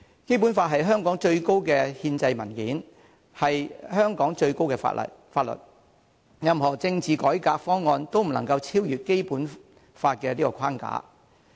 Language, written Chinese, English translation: Cantonese, 《基本法》是香港最高的憲制文件，是香港最高的法律，任何政治改革方案都不能超越《基本法》的框架。, The Basic Law is the supreme constitutional document in Hong Kong and is the highest set of law in Hong Kong therefore no political reform proposal can surpass the framework set by the Basic Law